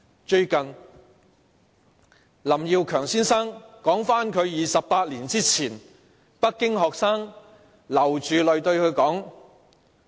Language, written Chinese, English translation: Cantonese, 最近，林耀強先生道出28年前北京學生流着淚對他說的話。, Recently Mr LAM Yiu - keung has told of what tearful students in Beijing said to him 28 years ago . They said to this effect Go back